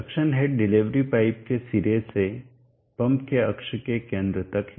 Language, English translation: Hindi, Now what is the suction head, suction head is from the tip of the delivery pipe to the center of the axis of the pump